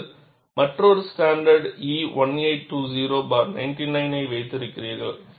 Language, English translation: Tamil, Then you have another standard E 1820 99